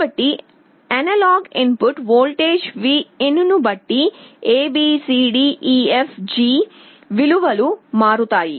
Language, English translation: Telugu, So, depending on the analog input voltage Vin, A B C D E F G values will change